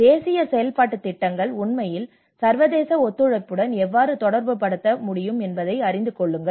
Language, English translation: Tamil, So how the national action plans can actually relate with the international cooperation as well